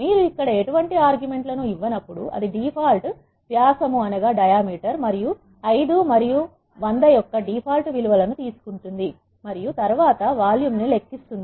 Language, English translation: Telugu, When you do not pass any arguments here it takes the default values of 5 and 100 which are default diameter and length and then calculates the volume